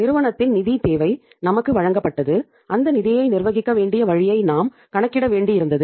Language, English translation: Tamil, The company’s financial requirement was given to us and we had to work out that uh how they should manage the funds